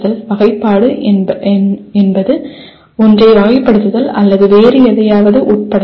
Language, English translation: Tamil, Classification is categorization or subsuming one into something else